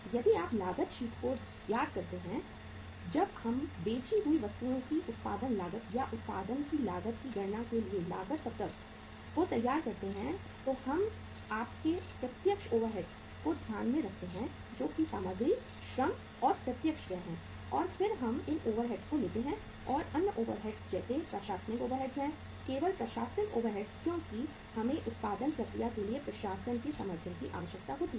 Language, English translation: Hindi, If you recall the cost sheet when we prepare the cost sheet uh for calculating the cost of production cost of goods sold or cost of production we take into account your direct overheads that is the material, labour, and direct expenses and then we take the other overheads and the other overheads are say your administrative overheads, only administrative overheads because we need the support of the administration for going for the production process